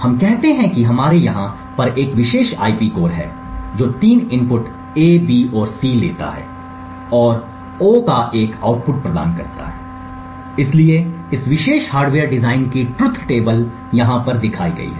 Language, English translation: Hindi, Let us say we have a particular IP core over here, which takes three inputs A, B and C and provides one output of O, so the truth table for this particular hardware design is as shown over here